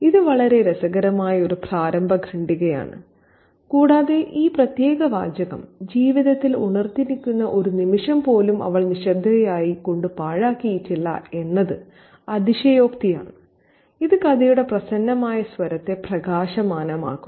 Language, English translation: Malayalam, Now this is a very interesting opening paragraph and this particular phrase she has not wasted a single wakeful moment of her life remaining silent is an exaggeration which adds to the light tone, the cheerful tone of the story